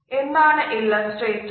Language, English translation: Malayalam, What exactly are illustrators